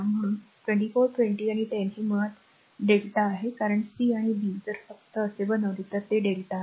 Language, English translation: Marathi, So, 24 20 and 10 this is basically your delta because c and b if you just make like this it is a delta connection